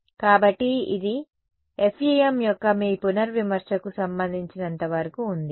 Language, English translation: Telugu, So, this is as far as your revision of FEM was concerned